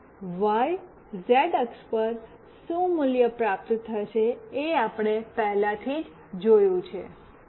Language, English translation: Gujarati, We have already seen that what value will receive on x, y, z axis